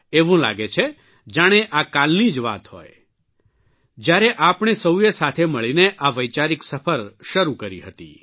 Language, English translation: Gujarati, It seems like just yesterday when we had embarked upon this journey of thoughts and ideas